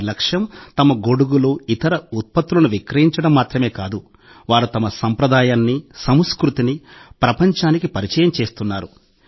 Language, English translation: Telugu, Their aim is not only to sell their umbrellas and other products, but they are also introducing their tradition, their culture to the world